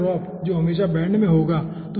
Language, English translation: Hindi, okay, so pressure drop will be always having bend